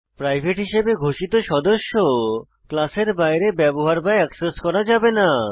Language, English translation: Bengali, Private specifier The members declared as private cannot be used or accessed outside the class